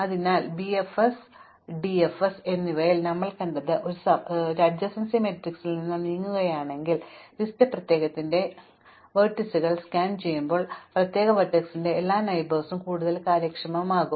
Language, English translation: Malayalam, So, we have seen in bfs and dfs that if we move from an adjacency matrix, to an adjacency list scanning all the vertices of the particular all the neighbors of the particular vertex becomes more efficient